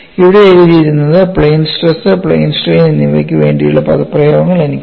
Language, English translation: Malayalam, And what is written here is I have the expressions for both plane stress as well as plane strain